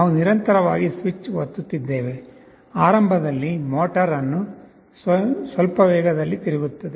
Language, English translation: Kannada, We would be continuously pressing the switch; initially the motor will be rotating at some speed